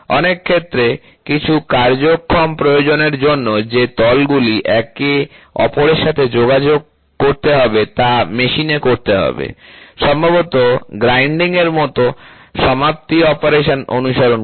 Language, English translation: Bengali, In many cases, the surfaces that need to contact each other, some functional requirement has to be machined, possibly followed by a finishing operation like grinding